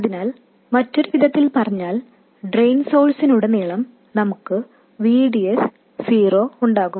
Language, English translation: Malayalam, So, in other words we will have VDS 0 across the drain source